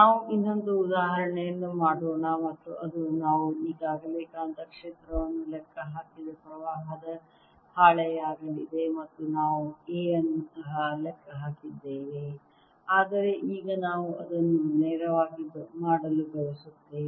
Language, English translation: Kannada, let's do one more example, and that's going to be that of a sheet of current for which we have already calculated magnetic field and we also calculated a